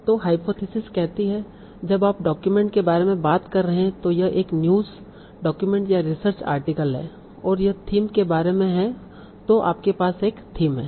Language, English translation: Hindi, So the hypothesis says that when you're talking about a document, so it is a new document or research article, it's about a thing, right